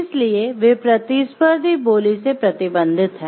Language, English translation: Hindi, So, they are restricted from competitive bidding